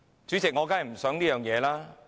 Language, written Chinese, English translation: Cantonese, 主席，我當然不想這樣。, President I certainly do not wish to see this